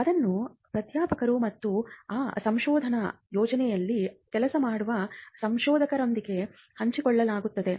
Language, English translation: Kannada, It was required to share it with the professors and the researchers who worked on those research projects